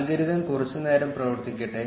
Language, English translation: Malayalam, Let the algorithm run for a while